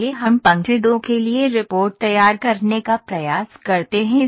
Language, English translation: Hindi, Now, let us try to produce the report for the line 2